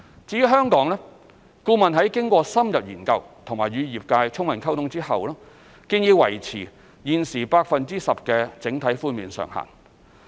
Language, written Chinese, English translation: Cantonese, 至於香港，顧問在經過深入研究並與業界充分溝通後，建議維持現時 10% 的整體寬免上限。, As regards Hong Kong upon in - depth studies and full engagement with the industry the consultant recommended that the current overall cap on GFA concessions be maintained at 10 %